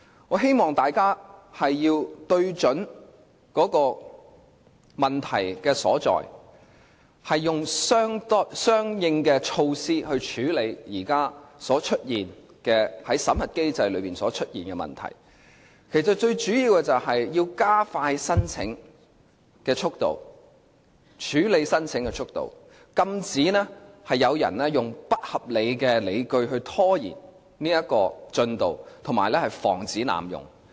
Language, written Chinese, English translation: Cantonese, 我希望大家聚焦問題所在，用相應措施處理現時審核機制出現的問題，最主要是要加快處理申請速度，禁止有人用不合理的理據拖延進度及防止濫用。, I hope Members will focus on the problem and adopt corresponding measures to tackle the present problems concerning the unified screening mechanism . Mostly importantly the Government must expedite the screening procedure and prevent people from stalling it without justified reasons or abusing the mechanism